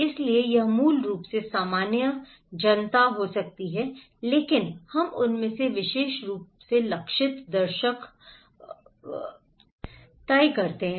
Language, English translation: Hindi, So, it could be general basically, general public but we among them may be particular target audience